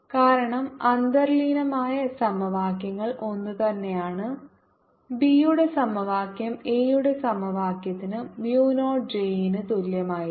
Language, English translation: Malayalam, since the underlying equations are the same, the equation for b is going to be the same as the equation for a, with mu naught j and b playing similar roles